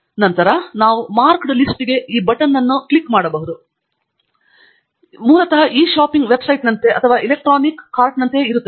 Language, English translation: Kannada, And then, after that, we can click on this button Add to Marked List, what it does is basically like a e shopping website or like an electronic cart